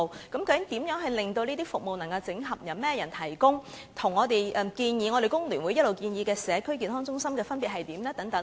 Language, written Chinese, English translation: Cantonese, 究竟這些服務會如何整合、由誰提供、與工聯會一直建議的社區健康中心有何分別呢？, How will these services be consolidated? . Who will provide them? . How are they different from the health care centre all along proposed by FTU?